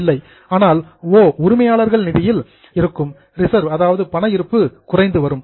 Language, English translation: Tamil, But O, that is from the owner's fund there is a reserve, that reserve balance is coming down